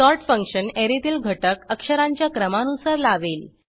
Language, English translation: Marathi, sort function will sort the elements of an Array in alphabetical order